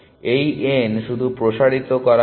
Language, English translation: Bengali, So, this n has just been expanded